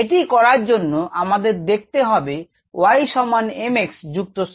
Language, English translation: Bengali, i have written it of a form of y equals m x plus c